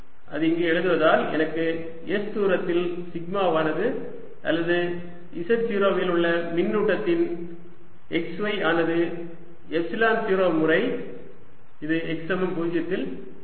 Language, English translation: Tamil, putting it here gives me sigma at distance, s or x, y, for charge at z naught is equal to epsilon zero times